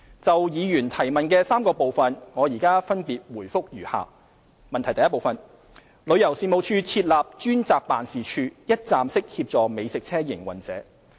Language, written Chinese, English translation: Cantonese, 就議員質詢的3個部分，我現分別答覆如下：一旅遊事務署設立了專責辦事處，一站式協助美食車營運者。, My reply to the three - part question raised by Mr Tommy CHEUNG is as follows 1 The Tourism Commission TC has set up a dedicated office to provide one - stop services for the food truck operators